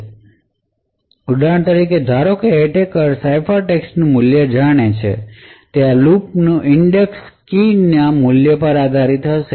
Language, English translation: Gujarati, So, for example assuming that the attacker knows the value of the ciphertext, index of this particular lookup would depend on the value of the key